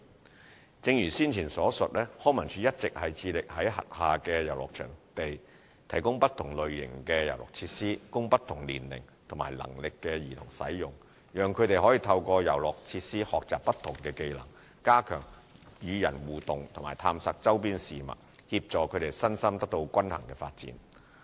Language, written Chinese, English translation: Cantonese, 三正如先前所述，康文署一直致力在轄下遊樂場地提供不同類型的遊樂設施，供不同年齡和能力的兒童使用，讓他們透過遊樂設施學習不同技能，加強與人互動及探索周邊事物，協助他們身心得到均衡發展。, 3 As mentioned above LCSD is committed to providing diversified play equipment at its playgrounds for children of different ages and abilities to help them attain a balanced development of mind and body enhance their interaction with others and stimulate exploration of the surroundings through acquiring different skills by the play equipment